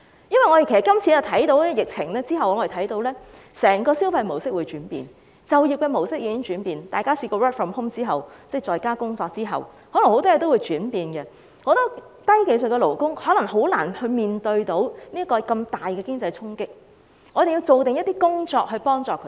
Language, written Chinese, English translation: Cantonese, 因為我們看到在這次疫情後，整個消費模式將會轉變，就業模式亦已轉變，大家曾經 work from home 後，很多事情可能都會改變，但許多低技術勞工可能難以面對如此大的衝擊，所以我們要做一些準備工夫去幫助他們。, We can foresee that there will be changes in the entire consumption pattern after the epidemic and the employment pattern has already changed as well . There will be many changes subsequent to the implementation of work - from - home arrangements but many low - skilled workers may have difficulties in coping with such a great impact . Hence we need to do some preparation work to help them